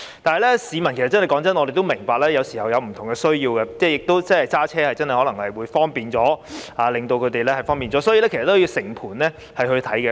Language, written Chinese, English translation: Cantonese, 但是，坦白說，我們也明白市民有時候有不同的需要，駕駛真的可能會更方便，所以，政府要全盤考慮。, Frankly however we understand that sometimes people have different needs . It may indeed be more convenient to drive . Hence the Government should make thorough consideration